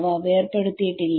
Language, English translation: Malayalam, So, they are not decoupled